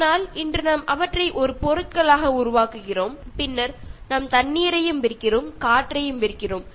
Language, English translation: Tamil, But then today we are making them as commodities and then we are selling water, we are selling air also, okay